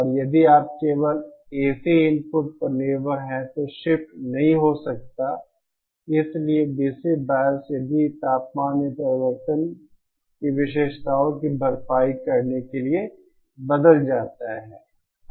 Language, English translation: Hindi, And if you are only dependent on the AC input then the shift could not have been done, so DC bias if the temperature changes to compensate for the changed characteristics